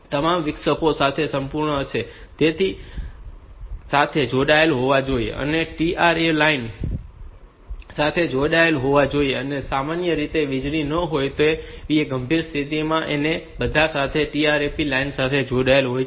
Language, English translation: Gujarati, So, they should be connected to that that should be connected to that trap line; typically with serious conditions like power failure and all that, they are connected to the trap line